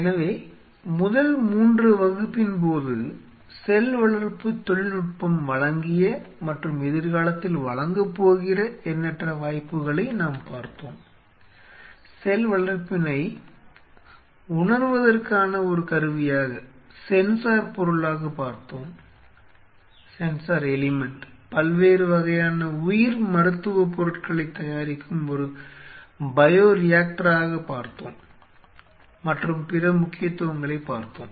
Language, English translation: Tamil, So, during the first 3 class we have dealt with the myriad of opportunities which cell culture technology has offered and will be offering in future, were a glance of it using cell culture as a tool for sensing as a sensor element as a bioreactor to produce different kind of compounds of biomedical as well as other significance